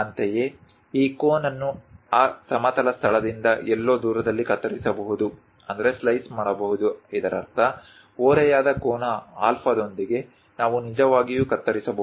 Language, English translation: Kannada, Similarly, one can slice this cone somewhere away from that horizontal location; that means with an inclination angle alpha, that also we can really make a slice